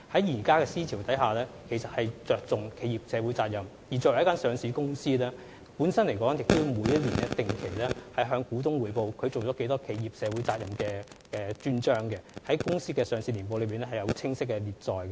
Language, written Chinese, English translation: Cantonese, 現今的思潮着重企業社會責任，而作為一間上市公司，每年也要定期向股東匯報履行了多少社會責任，在年報的專章中清晰列載。, The trend of thought nowadays attaches importance to corporate social responsibility . Every listed company has to regularly report to its shareholders on its performance in fulfilling corporate social responsibility which will be clearly stated in a special chapter in its annual report